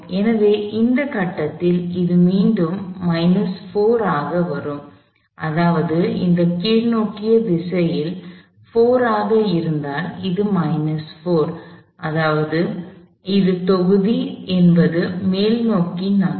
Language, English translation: Tamil, So, at this point, it would come back to the minus 4, meaning, if this was 4 in the downward direction, this is minus 4, meaning it is block would be upward direction